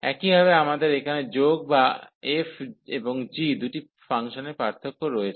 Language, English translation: Bengali, Similarly, we have the addition here or the difference of the two functions f and g